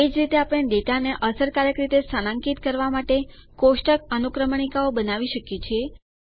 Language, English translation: Gujarati, Similarly, we can build table indexes to locate the data efficiently